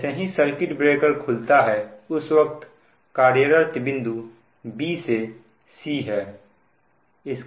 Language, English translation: Hindi, that immediately, this is the operating point b to c